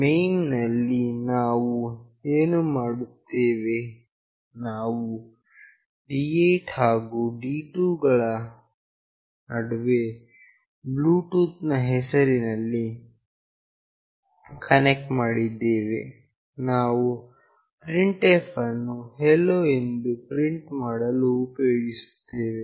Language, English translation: Kannada, In main what we are doing, the connection which we have made with the name Bluetooth between D8 and D2, we will use printf to print “Hello”